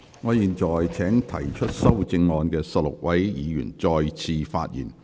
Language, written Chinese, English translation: Cantonese, 我現在請提出修正案的16位議員再次發言。, I now call upon the 16 Members who have proposed amendments to speak again